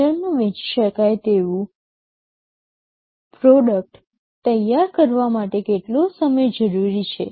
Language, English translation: Gujarati, How much time it is required to build a finished product that can be sold in the market